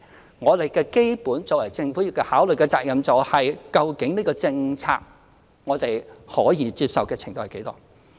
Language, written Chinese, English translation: Cantonese, 就這項政策而言，我們作為政府的基本責任是考慮我們可以接受的程度為何。, As far as this policy is concerned our basic duty as the Government is to consider the extent to which we can accept Members amendments